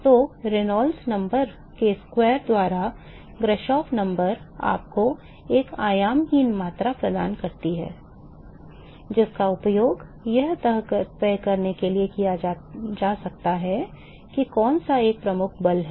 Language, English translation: Hindi, So, Grashof number by square of Reynolds number gives you a dimensionless quantity, which can be used to decide which one is a dominating force